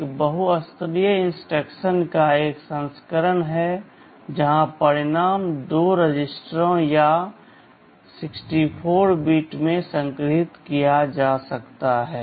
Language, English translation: Hindi, There is a version of multiply instruction where the result can be stored in two registers or 64 bits